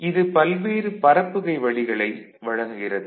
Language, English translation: Tamil, It provides various transmission options